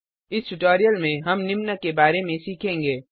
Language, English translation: Hindi, We will learn about these in the coming tutorials